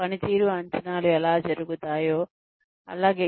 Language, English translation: Telugu, We have talked about, how performance appraisals are done